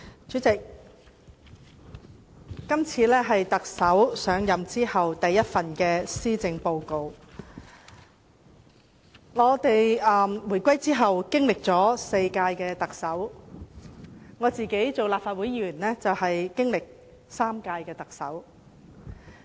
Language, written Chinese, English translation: Cantonese, 主席，這是特首上任後的首份施政報告，香港回歸以後香港經歷了4屆特首管治，在我擔任立法會議員期間，香港曾經歷3屆特首管治。, President this is the first Policy Address delivered by the Chief Executive after assuming office . Hong Kong has been governed by four Chief Executives since the reunification . During my service as a member of the Legislative Council Hong Kong has been governed by three Chief Executives